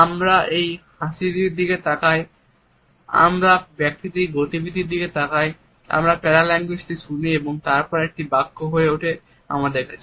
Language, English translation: Bengali, So, the idea becomes clear we look at this smile, we look at the movement of a person we listen to the paralanguage and then it becomes a sentence to us